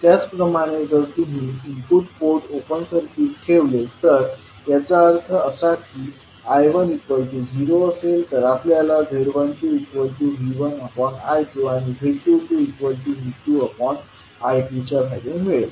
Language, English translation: Marathi, Similarly, if you keep input port as open circuited, that means that I1 equal to 0, then you will get value of Z12 as V1 upon I2 and Z22 as V2 upon I2